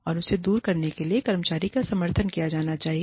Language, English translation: Hindi, And, the employee should be supported, to overcome it